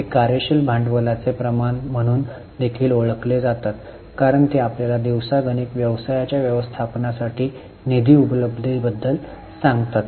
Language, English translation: Marathi, These are also known as working capital ratios because they tell you about availability of funds for day to day management of the business